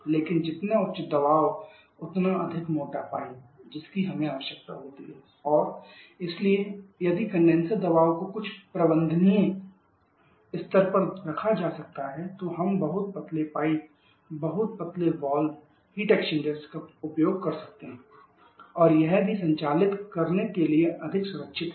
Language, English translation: Hindi, But higher the pressure more thicker pipes that we need and therefore if the condenser pressure can be kept to some manageable level we can use much thinner pipes much thinner valve tech exchanger and also it is much safer to operate